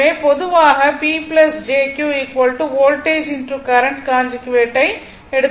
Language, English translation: Tamil, So, P plus jQ is equal to voltage into your what you call your current conjugate